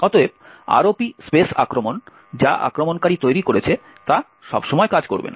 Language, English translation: Bengali, Therefore, the ROP space attack, which the attacker has created will not work all the time